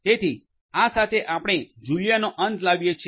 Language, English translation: Gujarati, So, with this we come to an end of Julia